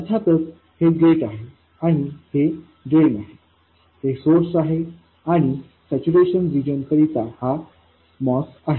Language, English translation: Marathi, This is of course the gate, drain and the source and this is the moss in saturation region